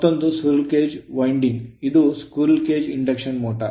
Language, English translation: Kannada, Another is the squirrel cage winding that is squirrel case induction motor right